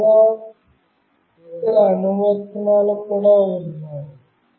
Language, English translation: Telugu, And there are many other applications as well